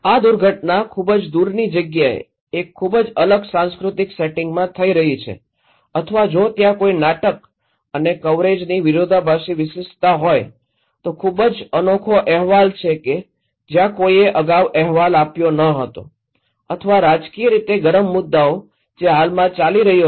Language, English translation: Gujarati, The disaster is happening in an very different cultural settings in it faraway place or if there is a drama and conflict exclusiveness of coverage, very unique report where no one reported before or politically hot issues which is going on right now